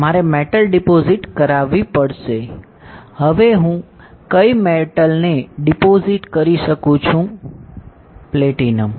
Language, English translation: Gujarati, I have to deposit a metal, now which metal I can deposit platinum